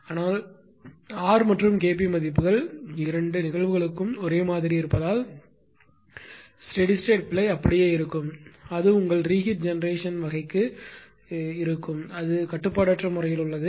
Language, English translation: Tamil, But steady state error will remain same right because r and K p values are same for both the cases it will remain generation for your ah reheat type will take little bit ah little bit more time to settle it is uncontrolled mode